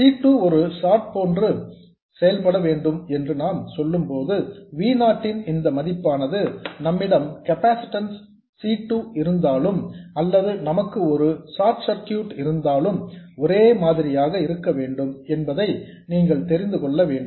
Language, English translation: Tamil, When we say C2 must behave like a short, what we mean is this value of V0 must be the same whether we have this capacitance C2 here or we have a short circuit